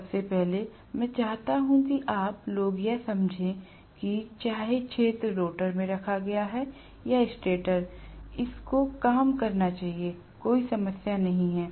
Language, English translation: Hindi, First of all, I want you guys to understand that whether the field is housed in the rotor or stator it should work, there is no problem